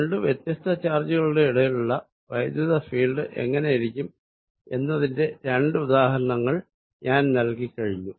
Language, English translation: Malayalam, So, these are some example of the field, I given in two examples of what electric field around two different charges looks like